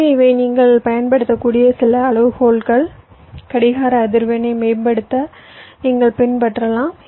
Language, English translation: Tamil, ok, so these are some criteria you can use, you can follow to optimise on the clock frequency